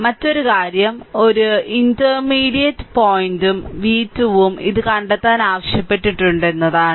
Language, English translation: Malayalam, Another thing is that an intermediate point v 2 also it has been asked you find out right